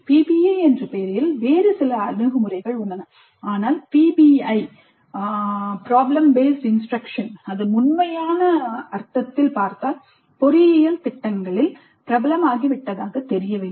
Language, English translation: Tamil, There are certain other approaches which go by the name of PBI but strictly speaking PBI in its true sense does not seem to have become that popular in engineering programs